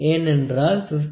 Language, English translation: Tamil, So, it is because like this 51